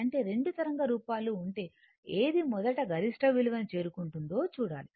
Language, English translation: Telugu, So, that means, if you have 2 waveforms, you have to see which one is reaching it is first